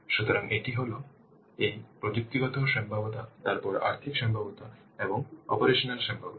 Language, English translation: Bengali, So, one is this technical feasibility, then financial feasibility and operational feasibility